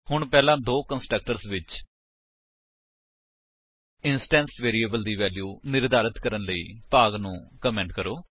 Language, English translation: Punjabi, Now, comment the part to assign the instance variables to their values in the first two constructors